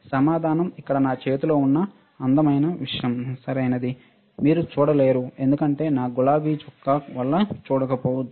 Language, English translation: Telugu, Answer is this beautiful thing in my hand here, right, maybe you cannot see because my of my pink shirt